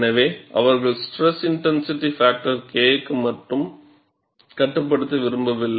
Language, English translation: Tamil, So, they do not want to restrict only to the stress intensity factor K; they also want to go to the second term